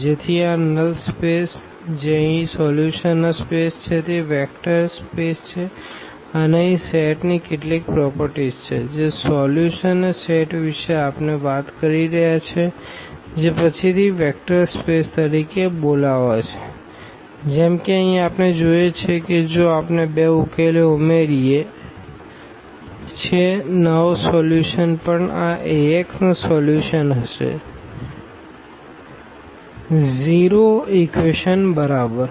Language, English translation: Gujarati, So, this null space which is the solution space here is a vector space and there are some properties of a set here, the solution set which we are talking about which will be later called as a vector space like for instance here we see that if we add 2 solutions the new solution will be also solution of this Ax is equal to 0 equation